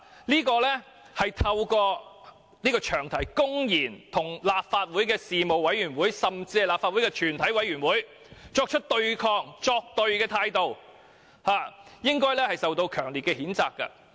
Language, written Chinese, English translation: Cantonese, 這種透過詳題公然與立法會事務委員會甚至是立法會全委會作對的態度，我們應予以強烈譴責。, The approach of using the long title to openly oppose the views of a Legislative Council panel or even the committee of the whole Council should be strongly condemned